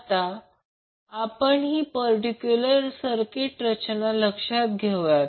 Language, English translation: Marathi, So for that lets consider this particular circuit arrangement